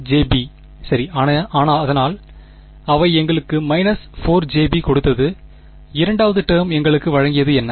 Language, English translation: Tamil, Minus 4 j b right, so that gave us minus 4 j b; the second term gave us